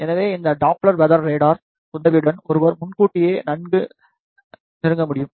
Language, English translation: Tamil, So, with the help of this Doppler weather radar one can easily intimate in well advance